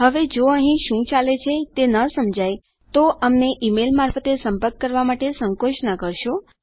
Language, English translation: Gujarati, Now if you dont understand what is going on please feel free to contact us via e mail